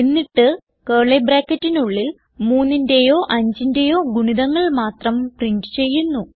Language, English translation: Malayalam, Then inside the curly brackets We print the number only if it is a multiple of 3 or 5